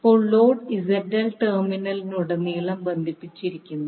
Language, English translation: Malayalam, Now, the load ZL is connected across the terminal